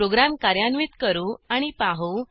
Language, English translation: Marathi, Let us execute the program and see